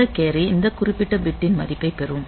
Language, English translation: Tamil, So, this carry will get the value of this particular bit